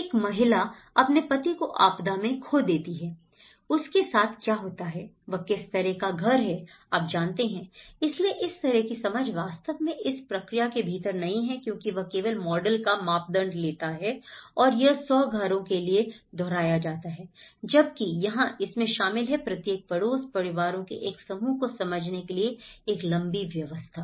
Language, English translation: Hindi, A woman loses her husband in the disaster, what happens to her, what kind of house she needs you know, so this kind of understanding is not really goes within this process because itís only takes for the model and how it is repeated for 100 houses whereas here, this involves a longer run engagement to understand each neighbourhood, a group of families